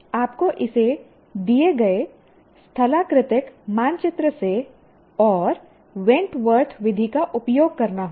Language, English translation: Hindi, You have to do it from a given topographical map and that too you have to use Wentworth method